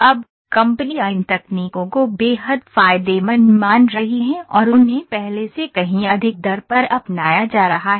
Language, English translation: Hindi, Now, companies are finding these techniques to be extremely beneficial and they are being adopted at a rate much higher than ever